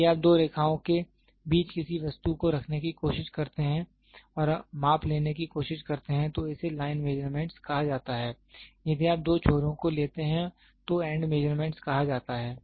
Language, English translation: Hindi, Line measurement is if you try to place an object between two lines and try to take a measurement it is called as line measurement; two ends if you take it is called as end measurement